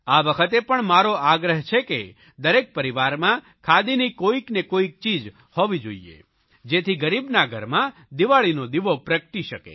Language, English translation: Gujarati, This year also I request that each family should buy one or the other khadi item so that the poor may also be able to light an earthen lamp and celebrate Diwali